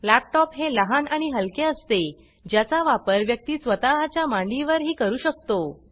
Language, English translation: Marathi, A laptop is small and light enough to sit on a persons lap, while in use